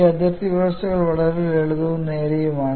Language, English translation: Malayalam, These boundary conditions are very simple and straight forward